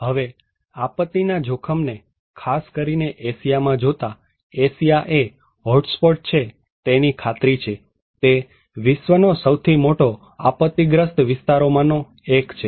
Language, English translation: Gujarati, Now, looking at disaster risk, particularly in Asia that is for sure that Asia is one of the hotspot, it is one of the most disaster prone region in the world